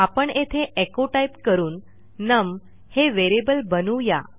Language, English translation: Marathi, So, I am going to say echo here and lets create a variable num